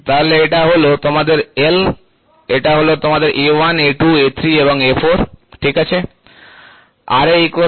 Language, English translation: Bengali, So, you have so this is your L, this is your A1, A2, A3, A4, ok